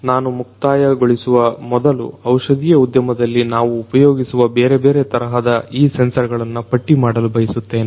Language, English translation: Kannada, Before I end, I would like to list these different types of sensors that we are going to use in the pharmaceutical industry